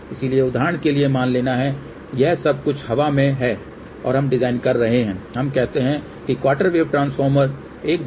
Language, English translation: Hindi, So, for example, assuming that this is everything is in the air and we are designinglet us say quarter wave transformer at 1 gigahertz